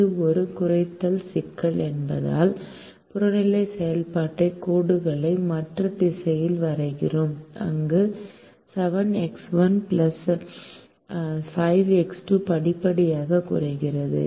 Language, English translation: Tamil, and since it's a minimization problem, we draw the objective function lines in the other direction, where seven x one plus five x two gets progressively reduced